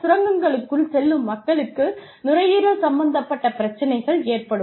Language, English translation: Tamil, People, who actually go into the mines, develop lung problems